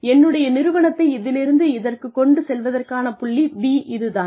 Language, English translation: Tamil, This is point B, to make my organization from this to this